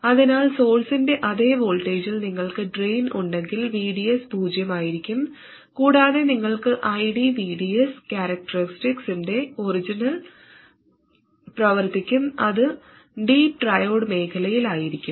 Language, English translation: Malayalam, So if you have the drain at the same voltage as the source, VDS will be 0 and you will be operating at the origin of the IDVDS characteristics